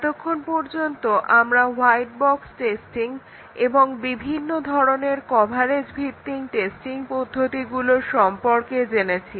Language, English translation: Bengali, So far we have been looking at white box testing and the different types of coverage based testing techniques